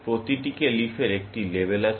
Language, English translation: Bengali, Every leaf has a label